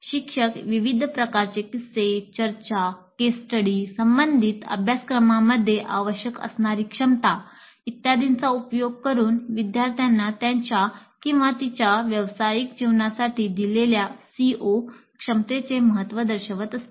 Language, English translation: Marathi, Teacher can use a variety of anecdotes, discussions, case studies, competencies required in related courses and so on to make the students see the importance of the stated CO competency to his or her professional life